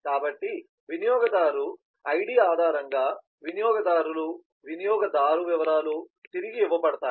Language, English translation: Telugu, so the customers based on the user id, the user details are returned